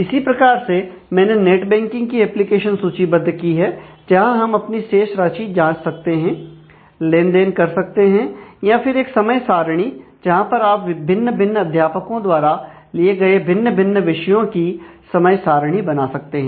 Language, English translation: Hindi, So, similarly I have listed an application for net banking which can where, we can check balance and do transactions transfer funds, or a timetable where you can manage time table for multiple courses taken by multiple teachers and so on